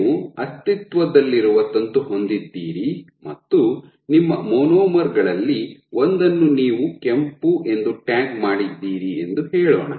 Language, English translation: Kannada, So, you have an existing filament and let us say you tagged one of your monomers red